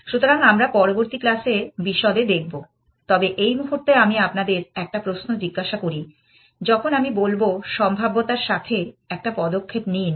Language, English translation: Bengali, So, we will look at the details in the next class, but let me ask you one question at this moment, when I say make a move with the probability